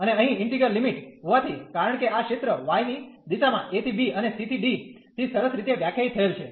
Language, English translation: Gujarati, And since the integral limits here, because the region was nicely define from a to b and the c to d in the direction of y